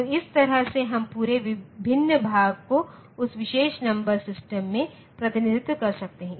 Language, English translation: Hindi, So, this way we can get the entire fractional part represented in the form of that particular number system